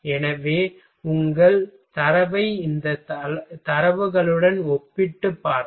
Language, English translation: Tamil, So, if you will compare with your result with these data